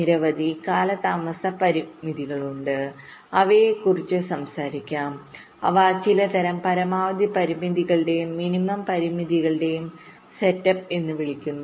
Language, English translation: Malayalam, there are a number of delay constraints that also we shall talk about, which are some kind of max constraints and min constraints